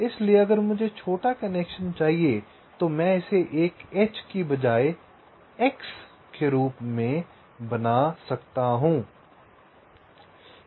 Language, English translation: Hindi, so so if i want shorter connection, i can make it as an x instead of a h